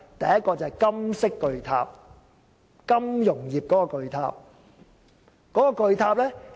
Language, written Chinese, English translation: Cantonese, 第一個是金色巨塔，即金融業的巨塔。, The first one is the great golden tower which represents the financial industry